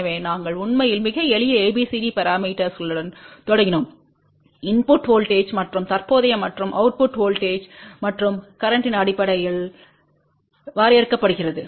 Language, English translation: Tamil, So, we actually started with the very simple ABCD parameters which are define in terms of input voltages and current and output voltages and current